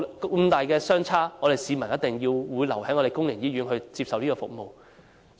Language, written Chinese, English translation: Cantonese, 金額相差這麼大，市民必定會留在公營醫院接受服務。, Given such an enormous difference in the amount members of the public will certainly stay in a public hospital to receive the service